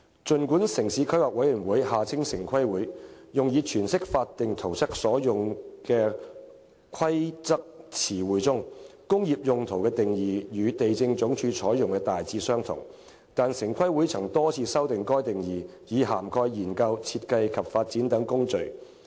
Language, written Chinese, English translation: Cantonese, 儘管城市規劃委員會用以詮釋法定圖則所用規劃詞彙中，"工業用途"的定義與地政總署採用的大致相同，但城規會曾經多次修訂該定義，以涵蓋研究、設計及發展等工序。, Notwithstanding that the definition of industrial use among the planning terms used by the Town Planning Board TPB in interpreting statutory plans is broadly in line with that adopted by LandsD TPB has amended the definition for many times to cover processes such as research design and development